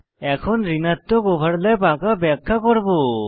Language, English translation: Bengali, Now, I will demonstrate how to draw a negative overlap